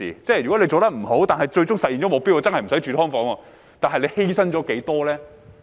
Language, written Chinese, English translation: Cantonese, 如果做得不好，但最終實現了目標，真的不用住"劏房"，但犧牲了多少呢？, If it is not done well even though the target is achieved in the end so that there is really no need for living in subdivided flats how much will have been sacrificed?